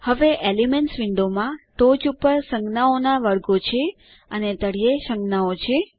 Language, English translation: Gujarati, Now the elements window has categories of symbols on the top and symbols at the bottom